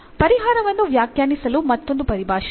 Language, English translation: Kannada, There is another terminology use for defining the solution